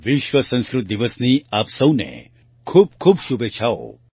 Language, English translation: Gujarati, Many felicitations to all of you on World Sanskrit Day